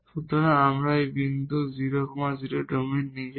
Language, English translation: Bengali, So, we have this point 0 0 in the domain itself